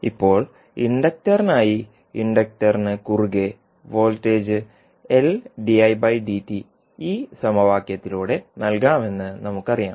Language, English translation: Malayalam, Now, for inductor as we know that the voltage across inductor can be given by this equation that is l dI by dt